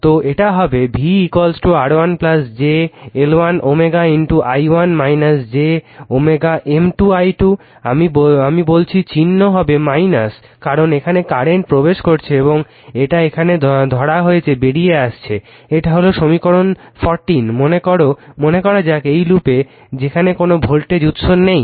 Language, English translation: Bengali, So, it will be V is equal to R 1 plus j L 1 omega into i 1 minus j omega M i 2, I told you the sign will be minus because current here is entering and it is leaving now you have taken, this is equation 14 say here in this loop p where there is no voltage source here